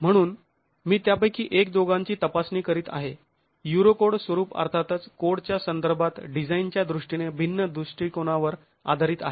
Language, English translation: Marathi, So, I'm just examining couple of them, the Eurocode format, which is of course based on a different approach in terms of design with respect to the IS code